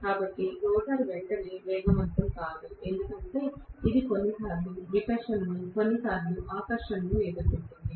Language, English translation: Telugu, So, the rotor is not going to be able to get up to speed right away because of which it will face repulsion sometimes, attraction sometimes